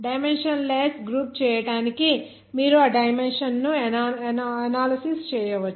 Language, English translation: Telugu, You can do that dimension analysis to make that the dimensionless group